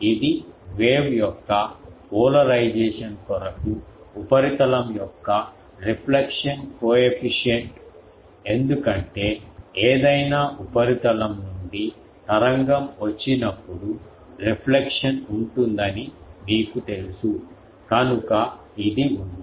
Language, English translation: Telugu, It is a reflection coefficient of the surface for the polarization of the wave because you know that when the wave come from any surface there will be a reflection, so it is there